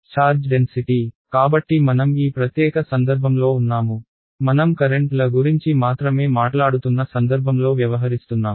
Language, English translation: Telugu, Charge density so we are in this particular case we are dealing with a case where we are talking only about currents ok